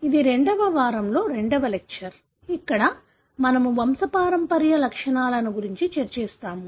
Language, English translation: Telugu, This is the second lecture in the week II, where we will be discussing about the pedigree